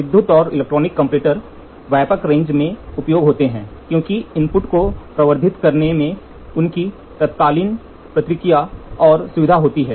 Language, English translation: Hindi, The electrical and electronic comparators are in wide range used because of their instantaneous response and convenience in amplifying the input